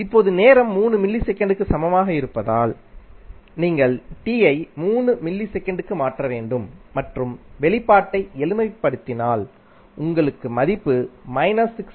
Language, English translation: Tamil, Now, for time is equal to 3 millisecond you simply have to replace t with 3 millisecond and simplify the expression you will get the value 6